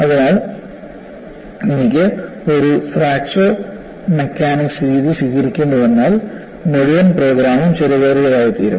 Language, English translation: Malayalam, So, if I have to adopt a fracture mechanics methodology, the whole program becomes expensive